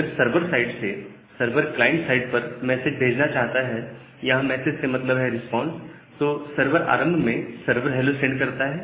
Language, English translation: Hindi, Now, if the server wants to send the message from the server side to the client side, that means the responses, the server sends a server CHLO initially